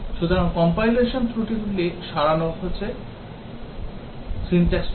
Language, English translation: Bengali, So, compilation errors have been removed, syntax errors